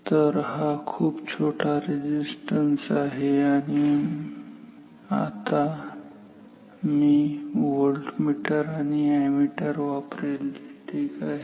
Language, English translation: Marathi, So, this is small resistance and I will use voltmeter ammeters now